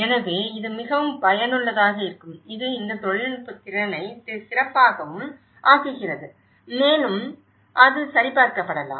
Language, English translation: Tamil, So, that will be very much useful that makes this technical skill better and better and it could be even validated